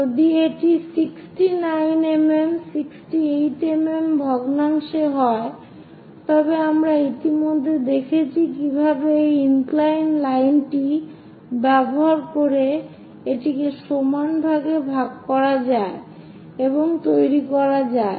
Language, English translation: Bengali, If it is fraction something like 69 mm 68 mm we have already seen how to divide into number of equal parts by using this inclined line and constructing it